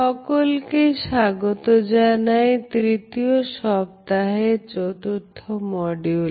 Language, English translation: Bengali, Welcome dear participants, in the 4th module of the 3rd week